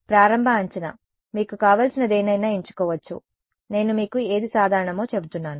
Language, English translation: Telugu, Initial guess initial guess, you can choose anything you want I am just telling you what is common